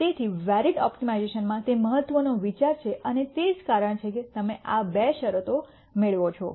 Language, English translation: Gujarati, So, that is the important idea in varied optimization and that is the reason why you get these two conditions